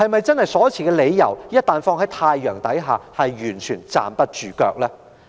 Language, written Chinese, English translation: Cantonese, 政府所持的理由，在太陽底下是否完全站不住腳？, Are the Governments justifications completely untenable?